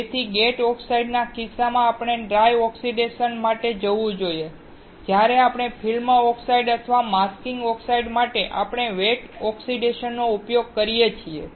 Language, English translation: Gujarati, So, in the case of gate oxide, we should go for dry oxidation, whereas for field oxide or masking oxides, we can use the wet oxidation